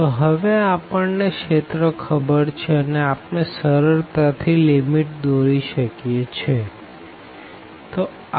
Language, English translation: Gujarati, So, we know the region now and we can easily draw the limits